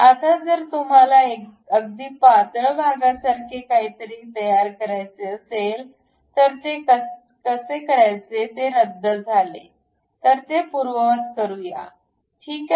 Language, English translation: Marathi, Now, if you want to construct something like a very thin portion; the way how to do that is cancel, let us undo that, ok